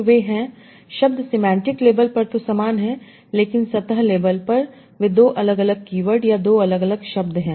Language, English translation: Hindi, So the words are similar on the semantic label, but on the surface label they are two different keywords or two different words